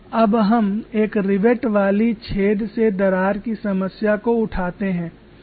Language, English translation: Hindi, Now let us take up a problem of a crack from riveted hole